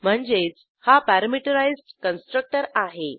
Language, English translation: Marathi, Addition Parameterized Constructor